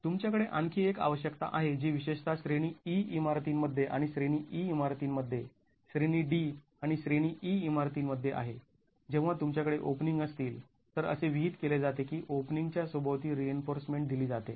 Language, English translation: Marathi, When you have another requirement which is particularly in category E buildings and in category E buildings, category D and category E buildings, when you have openings, it's prescribed that reinforcement is given around the openings